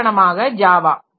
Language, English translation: Tamil, For example, say this Java